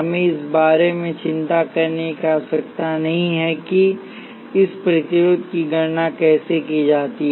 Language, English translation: Hindi, We do not have to worry about how this resistance is calculated